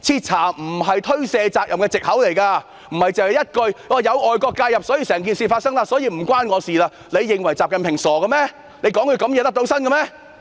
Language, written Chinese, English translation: Cantonese, 徹查並不是推卸責任的藉口，不是一句"有外國勢力介入導致事件發生"，便可以置身事外，你們認為習近平是傻的嗎？, A thorough investigation is not an excuse for shirking responsibilities . They cannot stay out of the matter by simply saying that the incident was caused by the interference of foreign forces . Do you take XI Jinping for a fool?